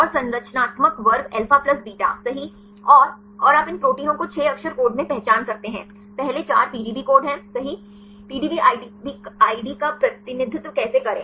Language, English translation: Hindi, And the structural class alpha plus beta right and you can identify these protein in a 6 letter code, first 4 are the PDB code right how to represent the PDB ID